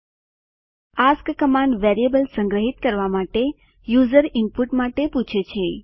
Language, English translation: Gujarati, ask command asks for user input to be stored in variables